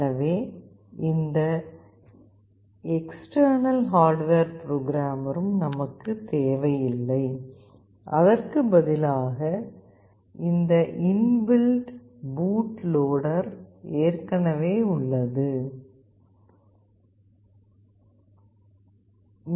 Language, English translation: Tamil, So, we do not need to have any external hardware programmer; rather if when we connect this inbuilt boot loader is already there